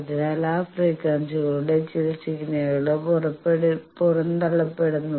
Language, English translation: Malayalam, So, that some of the signals of those frequencies are ejected